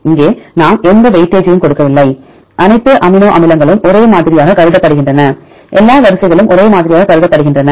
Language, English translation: Tamil, Here we do not give any weightage, all amino acids are treated same, all sequence are treated same